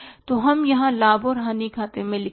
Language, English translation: Hindi, So, we write here buy profit and loss account